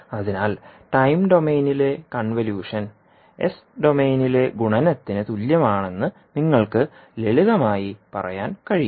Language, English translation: Malayalam, So you can simply say that the convolution in time domain is equivalent to the multiplication in s domain